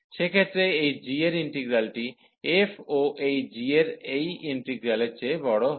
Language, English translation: Bengali, In that case, the integral of this g, f will be also greater than the integral of this g here